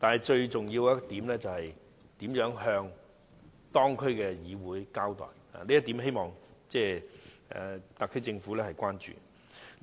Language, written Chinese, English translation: Cantonese, 最重要的是，當局如何向有關區議會交代，就這一點，希望特區政府關注。, Most importantly the authorities should examine how to improve its accountability to the District Council concerned . I hope the SAR Government could pay special attention to this area